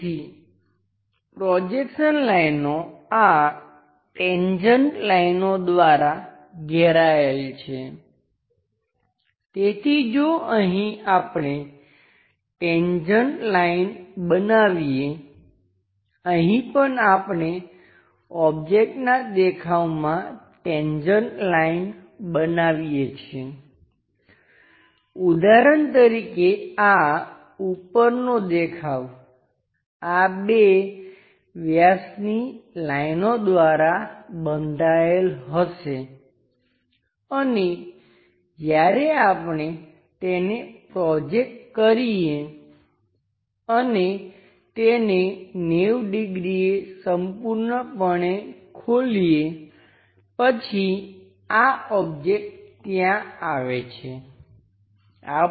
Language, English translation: Gujarati, So, the projection lines bounded by this tangent lines, so here if we are constructing a tangent line, here also if we are constructing a tangent line the object view, for example this top view will be bounded by these two diameter lines and when we are projecting it and opening that entirely by 90 degrees, then this object comes there